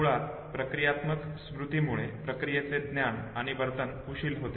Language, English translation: Marathi, Procedural memory basically constitutes the knowledge of the procedure and the skilled behavior